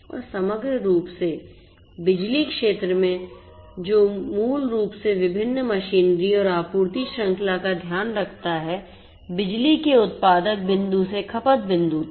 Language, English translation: Hindi, And holistically the power sector you know which basically takes care of different different machinery and the supply chain overall from the generating point of the power to the consumption point